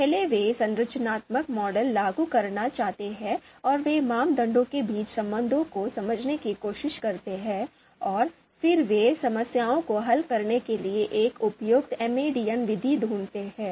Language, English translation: Hindi, And first they look to apply the structural structural models and they try to understand the relationships between criteria and and then and then they look to find a suitable MADM methods to you know solve the problems